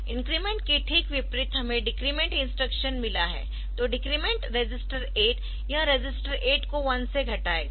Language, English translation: Hindi, And just the opposite of increment we have got the decrement instruction, so decrement register 8 will decrement the register 8 by the 8 bit register by one